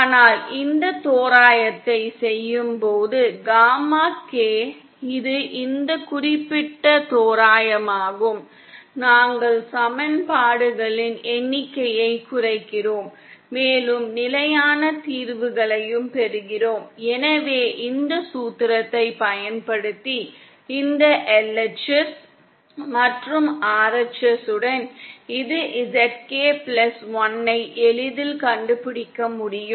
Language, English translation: Tamil, But on doing this approximation, gamma K that is this particular approximation, we reduce the number of equations and we also get consistent solutions, so using this formula and with this LHS and this in the RHS we can easily find out ZK plus one in terms of ZK and then we do this for each of the stages, so first we find out ZK then we find out ZK + 1, from ZK + 1 value we find out ZK + 2 and so on